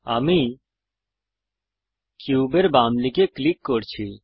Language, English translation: Bengali, I am clicking to the left side of the cube